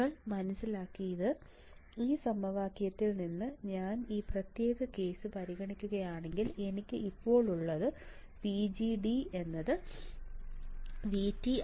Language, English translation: Malayalam, What you understood is that from this equation if I consider this particular case, then I have then I have VDG equals to V T